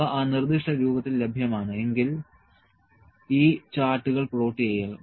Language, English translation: Malayalam, If, it is available in that specific form and plot this charts